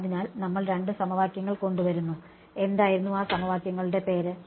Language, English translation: Malayalam, So, we had come up with couple of equations what was the name of those equations